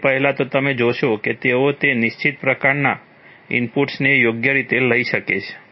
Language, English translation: Gujarati, For example, first of all you will find that they will be able to take inputs of that particular kind right